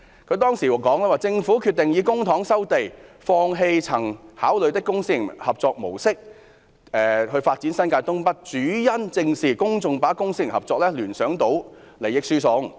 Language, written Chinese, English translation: Cantonese, 她當時說："政府決定以公帑收地，放棄曾考慮的公私營合作模式發展新界東北，主因正是公眾把公私營合作聯想到利益輸送。, At that time she said I quote The Government has decided to resume land by public money and give up the public - private partnership approach previously considered for developing North East New Territories mainly because public - private partnership evokes public suspicion of transfer of benefits